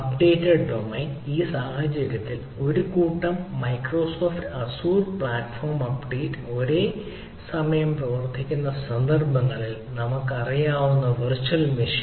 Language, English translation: Malayalam, update domain refers to a set of in this case microsoft azure, in instances which platform update are concurrently applied